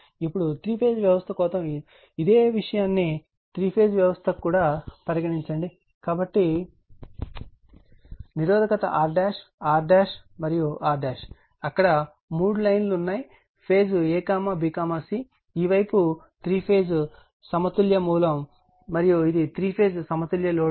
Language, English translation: Telugu, Now, now this one your if for three phase system, we assumed also same thing that your three phase systems, so resistance is R dash, R dash, R dash; three lines is there phase a, b, c; this side is three phase balanced source right, and this is three phase balanced load